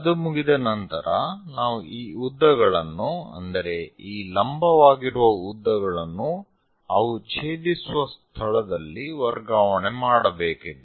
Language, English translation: Kannada, Once that is done we have to construct transfer this lengths, the vertical lengths where they are going to intersect